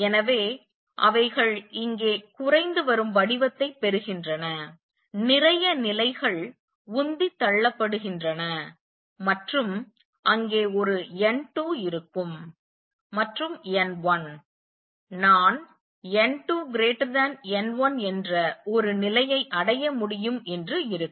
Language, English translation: Tamil, So, they are getting depleted form here lots of levels are being pumped up and they will be a n 2 and n 1 would be such that I can achieve a condition where n 2 is greater than n 1